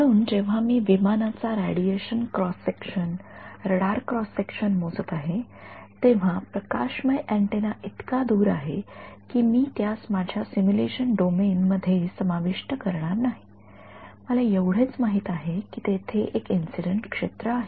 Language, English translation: Marathi, So, when I am calculating the radiation cross section the radar cross section of an aircraft, the illuminating antenna is so far away that I am not going to incorporate it in my simulation domain, all I know is that there is an incident field right